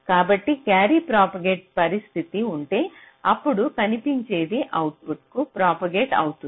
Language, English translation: Telugu, so if there is a carry propagate condition, then whatever is in seen that will propagate to the output